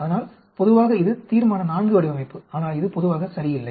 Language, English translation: Tamil, So, generally this is Resolution IV design is, but this is generally not ok